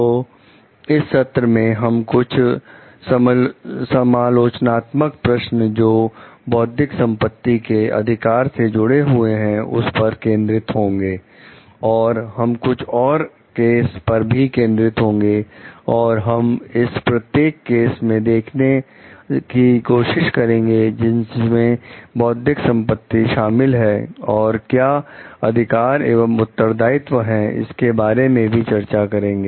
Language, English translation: Hindi, So, in this session we are going to focus on some critical questions with related to intellectual property rights, and we are going to again focus on some cases and we will try to see in each of those cases, what are the intellectual properties involved and what are the rights and responsibilities with regard to it